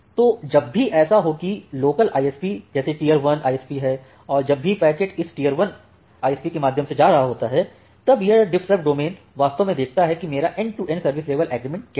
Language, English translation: Hindi, Now, whenever the packet is going through this tier 1 ISP, that this DiffServ domain actually looks into that what is my end to end service level agreement